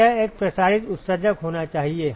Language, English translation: Hindi, So, it has to be a diffuse emitter yes